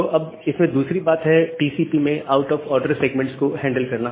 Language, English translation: Hindi, Well now, the second thing is that handling out of order segments in TCP